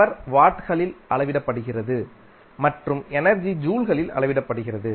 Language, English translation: Tamil, Power is measured in watts and w that is the energy measured in joules